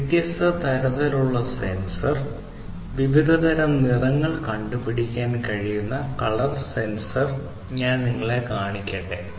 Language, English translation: Malayalam, This is basically the color sensor; it can detect colors, different types of colors